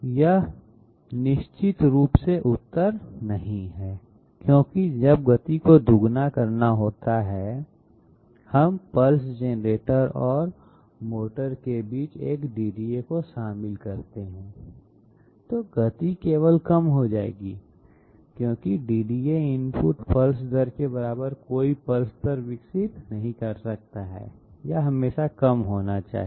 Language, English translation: Hindi, This is definitely not the answer because when speed has to be doubled, we include a DDA in between pulse generator and motor, speed will only be reduced because the DDA cannot develop any pulse rate equal to the input pulse rate, it always has to be less